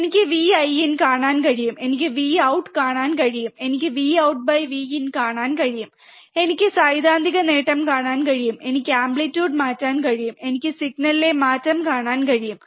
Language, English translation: Malayalam, I can see V in I can see V out I can see V out by V in, I can see theoretical gain, I can change the amplitude, and I can see the change in signal